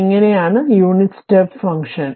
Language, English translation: Malayalam, So, it is unit impulse function